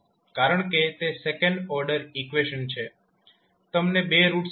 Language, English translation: Gujarati, So since it is a second order equation you will get two roots of s